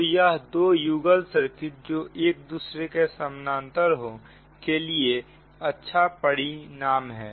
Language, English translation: Hindi, so this is well known result for the two couple circuit right connected in parallel